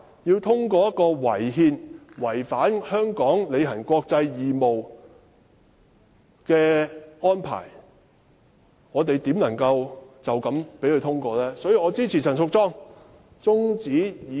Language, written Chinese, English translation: Cantonese, 面對這項違憲且違反香港履行國際義務的法案，試問我們怎能隨便通過《條例草案》？, How can we arbitrarily pass the Bill when it is unconstitutional and breaches the international obligations of Hong Kong?